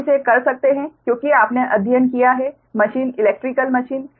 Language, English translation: Hindi, you can do it because you have studied also meshing right, electrical meshing